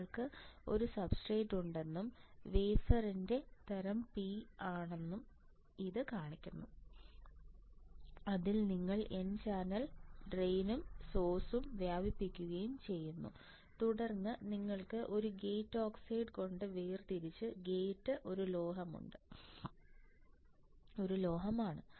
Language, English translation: Malayalam, It shows that you have a substrate and the type of wafer is P type, in that you have diffused n channel source and drain right and then you have a gate separated by a tinder of oxide and gate is a metal right